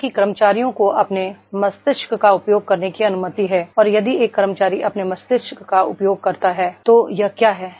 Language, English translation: Hindi, That is the employees are allowed to use their brain and that is if you if an employee uses his brain, it is what